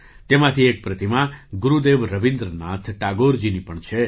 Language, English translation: Gujarati, One of these statues is also that of Gurudev Rabindranath Tagore